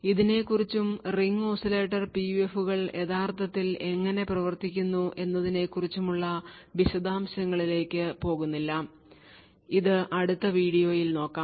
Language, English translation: Malayalam, So, we will not go into details about this and how this Ring Oscillators PUF actually works, this we will actually keep for the next video